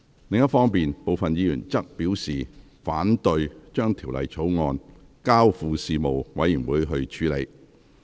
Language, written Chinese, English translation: Cantonese, 另一方面，部分議員則表示，反對將《條例草案》交付事務委員會處理。, On the other hand some Members expressed their objection to referring the Bill to the Panel